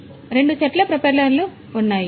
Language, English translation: Telugu, So, two of so, there are two sets of propellers